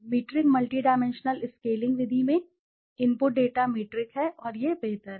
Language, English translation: Hindi, In the metric multidimensional scaling method the input data is metric and this is preferable